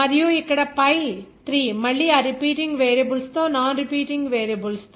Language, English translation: Telugu, And here pi 3 again with those non repeating variables with those repeating variables